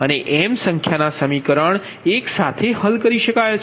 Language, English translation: Gujarati, right and m number of equation is solved simultaneously